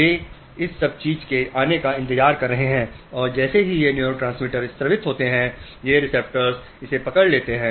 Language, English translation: Hindi, They are waiting for this thing to come and as this neurotransmitters are secreted these receptors catch hold of it